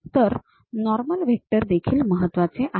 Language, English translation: Marathi, So, normal vectors are also important